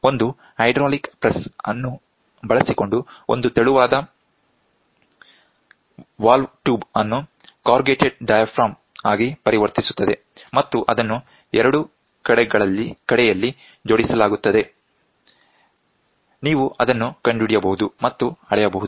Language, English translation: Kannada, So, a pressure sensing element, a thin valve tube is converted into a corrugated diaphragm by using a hydraulic press and it is stacked on both sides, you can find measure it